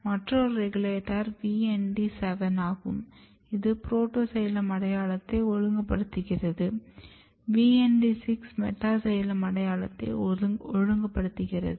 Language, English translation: Tamil, Another regulators which is VND7 which is regulating again protoxylem identity VND7 regulating metaxylem identity